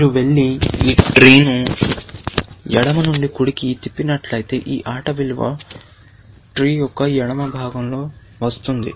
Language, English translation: Telugu, If you go and flip this tree left to right, which means, this game value would come on the left part of the tree